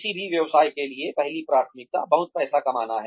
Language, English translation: Hindi, The first priority for any business, is to make lots of money